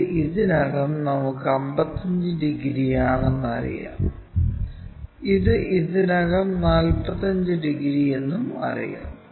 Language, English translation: Malayalam, This is already we know 55 degrees and this one already we know 45 degrees